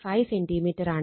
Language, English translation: Malayalam, 5 centimeter right